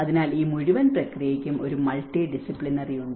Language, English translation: Malayalam, So, this whole process has a multidisciplinary